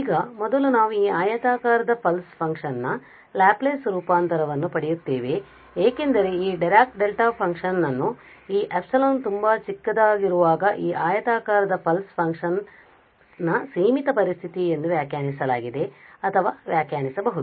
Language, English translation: Kannada, Now the first we will get the Laplace transform of this rectangular pulse function because this Dirac Delta function is defined as or can be defined as the limiting situation of this rectangular pulse function when this epsilon is very very small